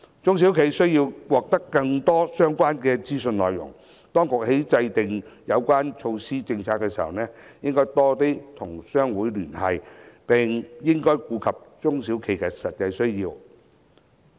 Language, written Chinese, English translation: Cantonese, 中小企需要獲得更多相關的資訊，當局在制訂有關措施政策時，應多與商會聯繫，並應顧及中小企的實際需要。, Noting the wish of SMEs to get more relevant information the authorities should keep closer ties with trade associations and take into account the actual needs of SMEs in devising relevant measures and policies